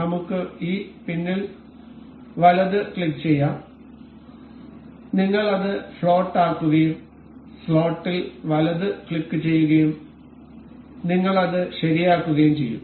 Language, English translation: Malayalam, We can right click on on this pin, we will make it float and we will right click over the slot and we will make it fixed